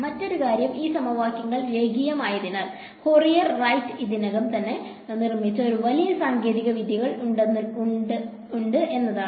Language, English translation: Malayalam, The other thing is that these equations being linear there is a large set of techniques which have already been built by Fourier right